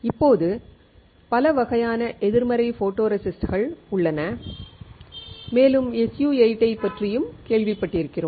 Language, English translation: Tamil, Now, there are several kinds of negative photoresist and we have heard about SU 8